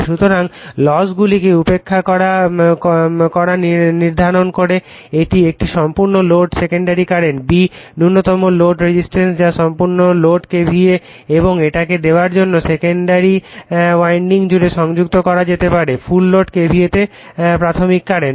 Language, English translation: Bengali, So, neglecting losses determine, a the full load secondary current, b, the minimum load resistance which can be connected across the secondary winding to give full load KVA and c, is the primary current at full load KVA